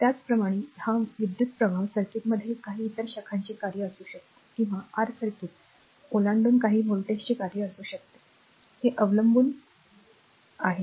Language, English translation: Marathi, Similarly, this current is may be the function of some other branch current in the circuit or may be function of some voltage across the, your circuit